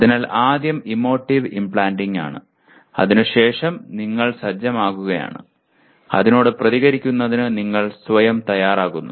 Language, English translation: Malayalam, So first thing is emotive implanting and then you are setting, readying yourself for responding to that